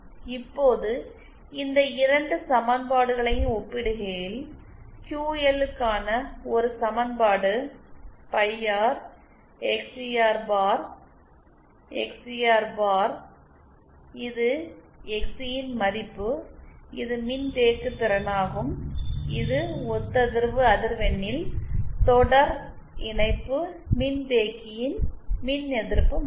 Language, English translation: Tamil, Now comparing these 2 equations, we can find, we can obtain an equation for QL as phi R XCR bar upon, XCR bar this is the value of XC that is the capacitance that is the value of reactance of the series capacitance at the resonant frequency